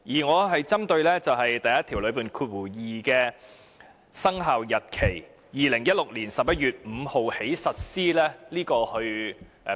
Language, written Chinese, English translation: Cantonese, 我針對的是第12條內所載的："自2016年11月5日起實施"。, My focus is the following phrase in clause 12 come into operation on 5 November 2016